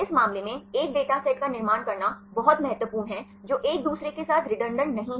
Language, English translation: Hindi, In this case it is very important to construct a dataset which are not redundant with each other